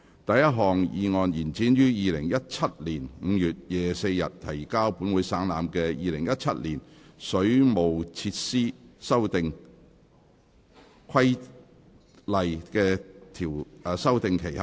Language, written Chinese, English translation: Cantonese, 第一項議案：延展於2017年5月24日提交本會省覽的《2017年水務設施規例》的修訂期限。, First motion To extend the period for amending the Waterworks Amendment Regulation 2017 which was laid on the Table of this Council on 24 May 2017